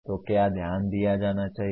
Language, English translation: Hindi, So that is what should be noted